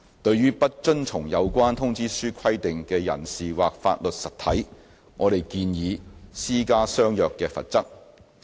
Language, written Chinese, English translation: Cantonese, 對於不遵從有關通知書規定的人士或法律實體，我們建議施加相若的罰則。, We propose applying a similar penalty for persons or legal entities that fail to comply with the relevant notice requirements